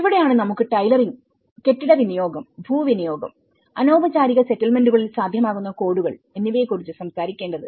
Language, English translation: Malayalam, And this is where we need to talk about the tailoring and the building and land use, codes to the feasible in informal settlements